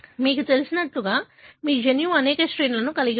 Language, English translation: Telugu, As you know, your genome has got several sequences